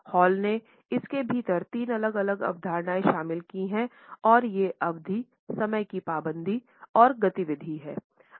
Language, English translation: Hindi, Hall has included three different concepts within it and these are duration, punctuality and activity